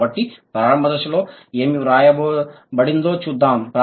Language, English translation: Telugu, So, let's see what is written in the initial stage